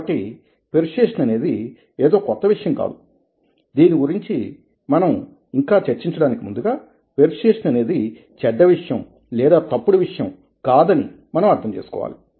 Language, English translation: Telugu, so persuasion is not something new and before we proceed any further, we need to understand that persuasion is not something which is bad or wrong